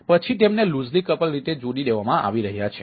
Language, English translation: Gujarati, then they are being connected over in a loosely couple